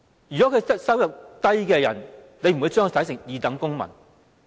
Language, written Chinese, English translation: Cantonese, 局長會否把低收入人士視作二等公民？, Will the Secretary regard low - income persons as second - class citizens?